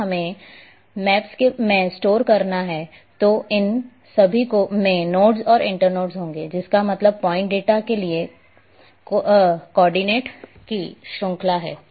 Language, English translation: Hindi, If we have to store in the maps then all these will have their nodes and internodes that means the series of coordinates for point data